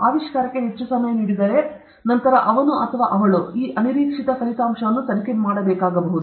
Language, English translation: Kannada, If the discoverer was given more time, and then, he or she should, could investigate this unexpected result